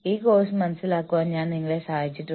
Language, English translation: Malayalam, I have been, helping you, with this course